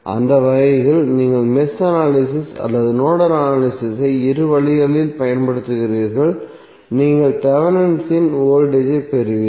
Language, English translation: Tamil, So in that way either you apply Mesh analysis or the Nodal analysis in both way you will get the Thevenin voltage same